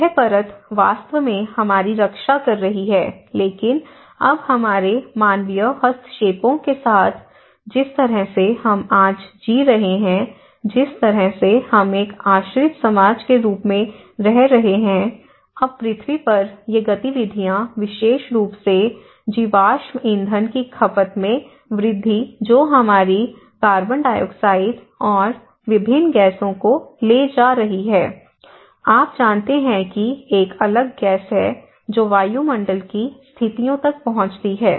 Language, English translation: Hindi, So, this layer is actually protecting us but now, with our human interventions, the way we are living today, the way we are living as a dependent society, now these activities on the earth especially, the escalation of the fossil fuel consumptions which is taking our CO2 and different gases, you know there is a different gases which reach to the atmosphere conditions